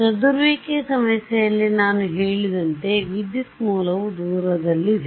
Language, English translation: Kannada, As I mentioned in the scattering problem, the current source is far away